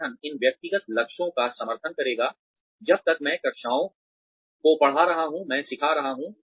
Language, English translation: Hindi, The organization will support, these personal goals, as long as, I am teaching the classes, I am teaching